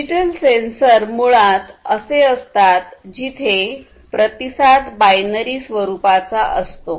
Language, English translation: Marathi, Digital sensors are basically the ones where the response is of binary nature